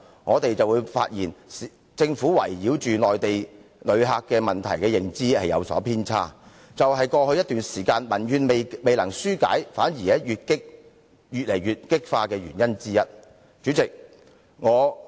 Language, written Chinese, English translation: Cantonese, 我們發現政府圍繞內地旅客問題的認知有偏差，這也是過去一段時間裏民怨未能紓解，反而愈見激化的原因之一。, We find that the Governments understanding of issues concerning Mainland visitors is on the wrong track . This is one of the reasons why it has not been possible to dispel the citizens dissatisfaction which has indeed intensified instead for some time in the past